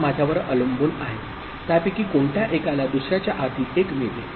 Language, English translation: Marathi, Now depends I mean, which one of them gets the 1 before the other